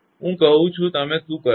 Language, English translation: Gujarati, I mean now what you do